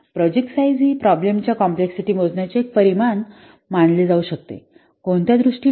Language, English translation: Marathi, So, project size is a measure of the problem complexity